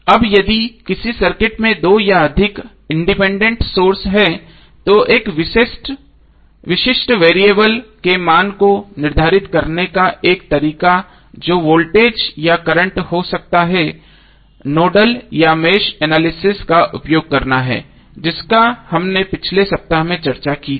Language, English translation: Hindi, Now if a circuit has 2 or more independent sources the one way to determine the value of a specific variables that is may be voltage or current is to use nodal or match analysis, which we discussed in the previous week